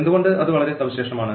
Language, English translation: Malayalam, Why that is very special